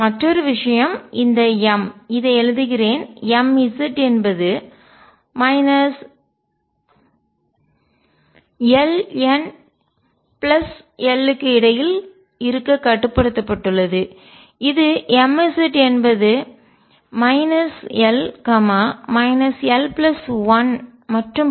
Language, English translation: Tamil, Other thing is that m; let me write it m Z is restricted to be below between minus l n plus l implies m Z as from minus l minus l plus 1 so on 0 1 2 up to l plus 1